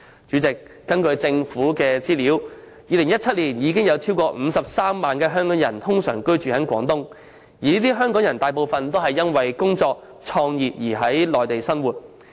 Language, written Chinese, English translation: Cantonese, 主席，根據政府的資料 ，2017 年已有超過53萬名香港人通常在廣東居住，這些港人大部分都是因工作及創業而在內地生活。, President according to the Governments information there were more than 530 000 Hong Kong people ordinarily residing in Guangdong in 2017 and most of them have moved to the Mainland to work and start their own businesses